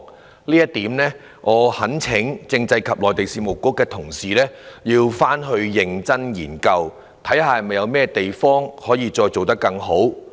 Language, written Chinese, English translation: Cantonese, 就這一點，我懇請政制及內地事務局認真研究，看看有甚麼地方可以做得更好。, I therefore implore the Constitutional and Mainland Affairs Bureau to study this issue seriously and improve the relevant arrangements